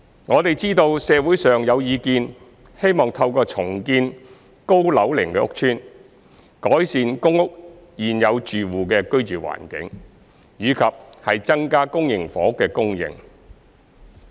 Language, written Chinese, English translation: Cantonese, 我們知道社會上有意見希望透過重建高樓齡屋邨，改善公屋現有住戶的居住環境，以及增加公營房屋供應。, We have noted the view in the community on improving the living environment of existing PRH tenants and increasing the supply of public housing through redevelopment of aged estates